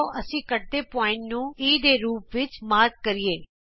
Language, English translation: Punjabi, Let us mark the point of intersection as E